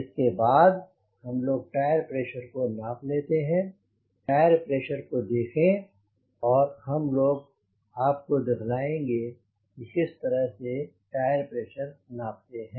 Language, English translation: Hindi, please see the tire pressure and we will just show you how we measure the tire pressure